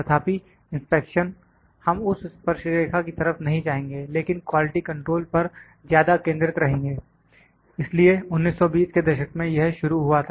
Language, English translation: Hindi, However, inspection we will not go to that tangent, but will more focus in quality control, so in 1920s it is started